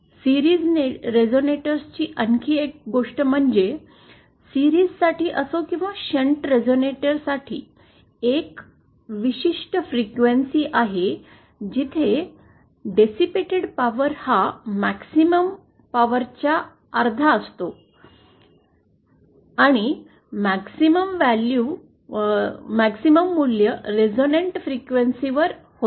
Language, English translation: Marathi, Yah another thing about the series resonator is that, whether for series or shunt resonator is that the power distributed, there is a certain frequency where the power dissipated is half the maximum value and the maximum value occurs at the resonant frequency